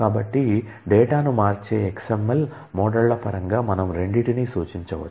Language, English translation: Telugu, So, we can represent both of them in terms of XML models convert the data